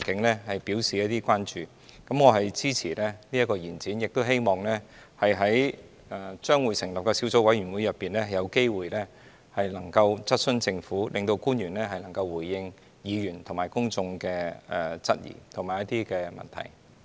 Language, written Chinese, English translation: Cantonese, 我支持這項延展審議期限的議案，亦希望在將會成立的小組委員會內，有機會質詢政府，令官員能夠回應議員和公眾的質疑及一些問題。, I support this motion for extension of the scrutiny period and look forward to an opportunity to question the Government in the Subcommittee so that government officials can answer some queries and questions raised by Members and the public